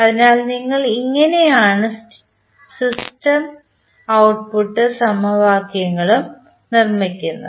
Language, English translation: Malayalam, So, this is how you compile the state and the output equations